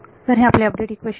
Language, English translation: Marathi, So, this is our update equation